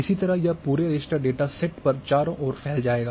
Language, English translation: Hindi, Likewise, it will go all around on the entire raster data set